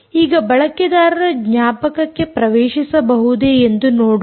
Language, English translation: Kannada, now let us see whether user memory is accessible